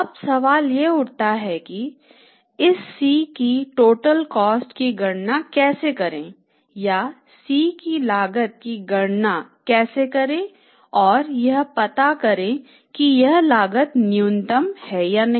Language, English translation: Hindi, Now the question arises that how to calculate the total cost of this C or how to calculate the cost of C and to find out that this cost is minimum